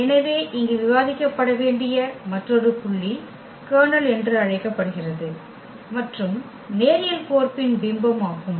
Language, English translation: Tamil, So, another point here to be discussed that is called the kernel and the image of the linear mapping